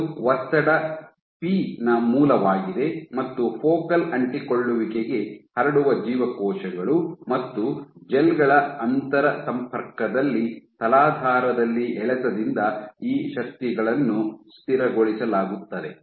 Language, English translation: Kannada, This is the source of your stress p and these forces are stabilized by traction at the substrate at the interface of cells and gels transmitted to the focal adhesion